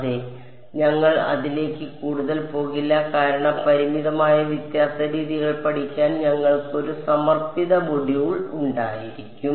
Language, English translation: Malayalam, But yeah, we will not go more into this because we will have a dedicated module for studying finite difference methods ok